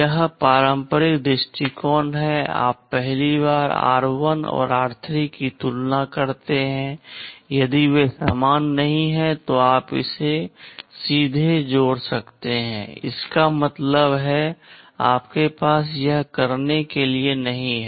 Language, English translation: Hindi, This is the conventional approach, you first compare r1 and r3; if they are not equal you can straight away skip; that means, you have you do not have to do it